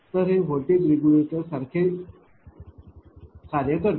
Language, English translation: Marathi, So, it acts like a voltage regulator